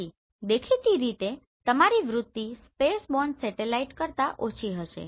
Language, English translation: Gujarati, So obviously your attitude will be lesser than the spaceborne satellite